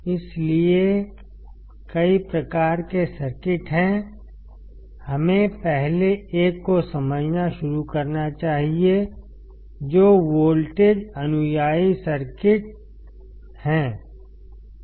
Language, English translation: Hindi, So, there are several kinds of circuits, we should start understanding the first one; which is the voltage follower circuit